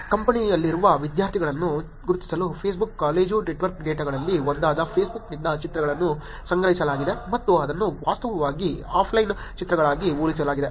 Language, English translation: Kannada, Pictures from Facebook, one of the Facebook college network data was collected to identify students who are in campus and it was actually compared to the offline pictures also